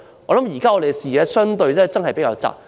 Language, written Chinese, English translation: Cantonese, 我們的視野真是比較狹窄。, Our vision is relatively narrow in scope